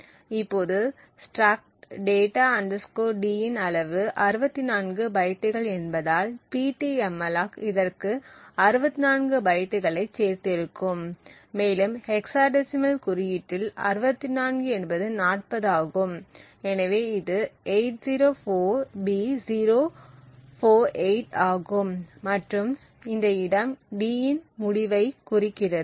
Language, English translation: Tamil, Now since the size of struct data T is 64 bytes, so therefore the Ptmalloc would have added 64 bytes to this, so 64 in hexadecimal notation is 40, so this is 804B048, so this location onwards signifies the end of d